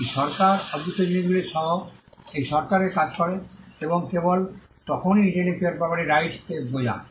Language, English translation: Bengali, This regime acts this regime acts along with the intangible things and only then intellectual property rights make sense